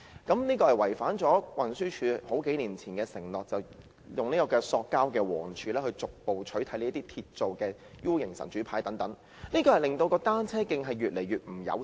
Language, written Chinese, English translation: Cantonese, 這做法違反了運輸署數年前的承諾，即以塑膠黃柱逐步取代這些鐵造的倒 U 型"神主牌"，令單車徑越來越不友善。, This practice is breaking the promise made by TD a few years ago under which steel inverted - U shape ancestral tablets would be replaced gradually by yellow plastic bollards and making cycle tracks increasingly inconvenient to cyclists